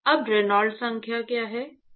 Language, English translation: Hindi, Now what is the Reynolds number